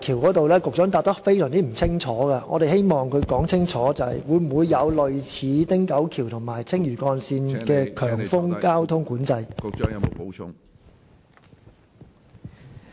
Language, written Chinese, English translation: Cantonese, 我希望他清楚說明，港珠澳大橋會否像汀九橋及青嶼幹線般設有強風交通管制。, I want him to clearly answer whether HZMB will be subject to high wind traffic management like the Ting Kau Bridge and the Lantau Link